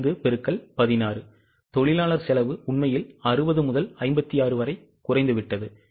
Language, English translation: Tamil, 5 into 16, labour cost has actually gone down from 60 to 56